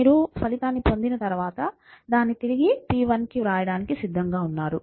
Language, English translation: Telugu, And once you have the result, youíre ready to write it back into p 1